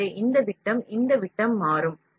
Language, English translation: Tamil, So, this diameter will become this diameter